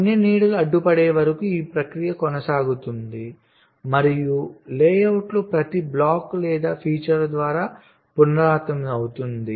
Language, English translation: Telugu, this process is continued until all of the shadows has been obstructed and is repeated by every block or feature in the layout